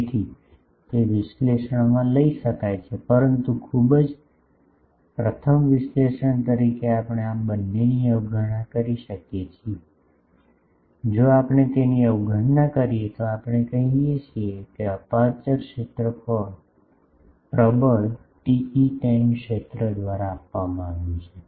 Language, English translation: Gujarati, So, that can be taken into the analysis, but as a very, first cut analysis we can neglect both of these, if we neglect them then we can say that the aperture field is also given by the dominant TE 10 field